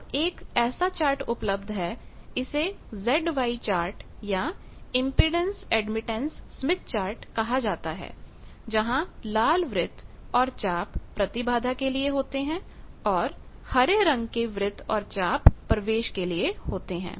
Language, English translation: Hindi, Now there is a chart available it is called z y chart or impedance admittance chart, where the red circles and arcs are for impedance and the green arcs and circles are for admittance